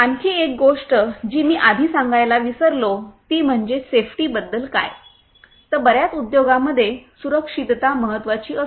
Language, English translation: Marathi, One more thing that I forgot to mention earlier is what about safety, safety is very important in most of the industries